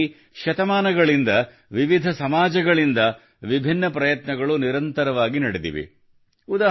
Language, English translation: Kannada, For this, different societies have madevarious efforts continuously for centuries